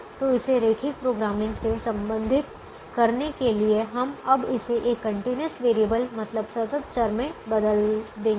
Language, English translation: Hindi, now we said that this is a binary problem, so to relate it to linear programming, we will now change it to a continuous variable